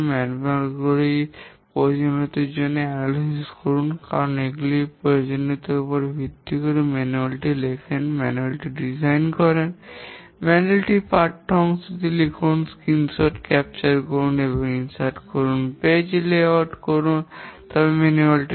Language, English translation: Bengali, For the user manual, analyze the requirements because you have to write the manual based on the requirements, design the manual, write the text part of the manual, capture screenshots and insert them, do page layout, then print the manual